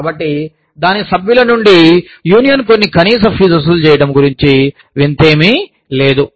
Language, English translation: Telugu, So, there is nothing strange about, a union collecting, some minimal fees, from its members